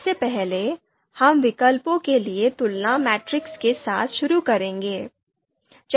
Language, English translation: Hindi, So first, we will start with comparison matrix matrices for alternatives